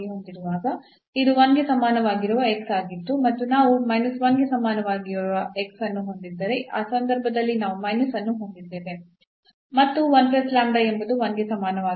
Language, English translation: Kannada, So, this was x is equal to 1 and then if we have x is equal to minus 1 in that case we have minus and the 1 plus lambda is equal to 1